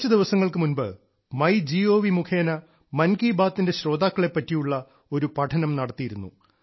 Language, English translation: Malayalam, Just a few days ago, on part of MyGov, a study was conducted regarding the listeners of Mann ki Baat